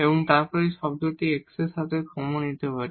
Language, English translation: Bengali, So, this is the term here, we have the 4, then we have a x square term